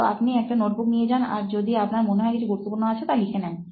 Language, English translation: Bengali, So you carry a notebook and if you feel there is something that is important, you note it down